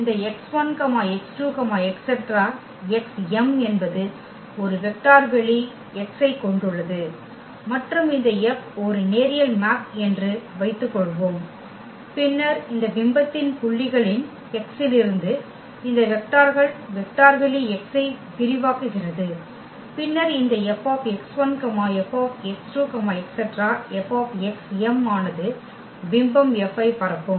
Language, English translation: Tamil, That suppose this x 1 x 2 x 3 x m is span a vector space X and suppose this F is a linear map, then their image of these points here what these vectors from x which is span the vector space X then this F x 1 F x 2 F x m will also span will span the image F